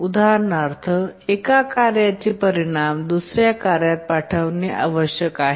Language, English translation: Marathi, For example, the results of one task needs to be passed on to another task